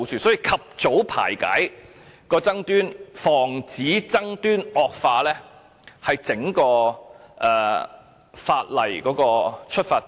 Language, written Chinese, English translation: Cantonese, 所以，及早排解爭端，防止爭端惡化，是整條《條例草案》的出發點。, Therefore it is the goal of the Bill to facilitate early settlement of disputes to prevent their escalation